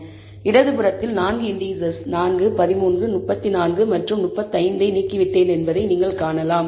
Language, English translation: Tamil, So, on the left you can see, that I have removed the 4 index basically, 4 13 34 and 35